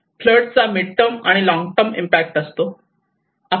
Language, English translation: Marathi, And this flood water will have both the mid term and the long term impacts